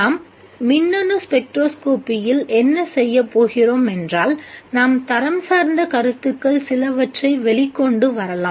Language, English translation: Tamil, What we shall do with the electronic spectroscopy is that let us bring out some of the qualitative ideas